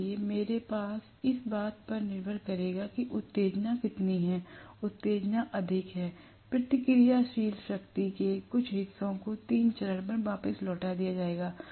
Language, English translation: Hindi, So, I will have depending upon how much is the excitation, the excitation is in excess some portion of the reactive power will be returned back to the main, three phase mains